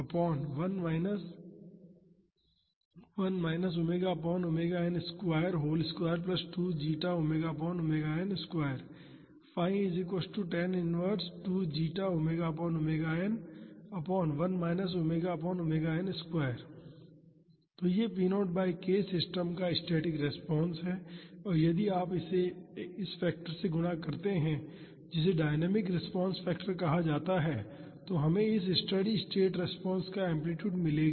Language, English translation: Hindi, So, this p naught by k is the static response of the system and if you multiply it with this factor which is called dynamic response factor we will get the amplitude of this steady state response